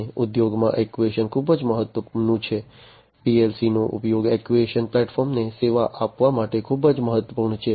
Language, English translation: Gujarati, And in industry actuation is very important, use of PLC’s is very important to serve actuation platforms